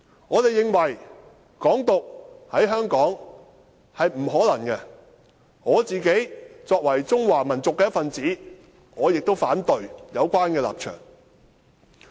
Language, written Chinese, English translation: Cantonese, 我們認為"港獨"在香港是不可能的，我作為中華民族的一分子，亦反對有關的立場。, We think that independence is impossible in Hong Kong . As a member of the Chinese race I also oppose to that idea